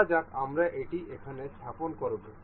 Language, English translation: Bengali, Let us suppose we will place it here